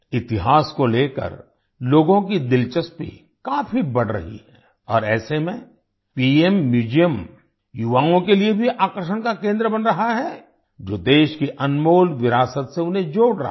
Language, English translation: Hindi, People's interest in history is increasing a lot and in such a situation the PM Museum is also becoming a centre of attraction for the youth, connecting them with the precious heritage of the country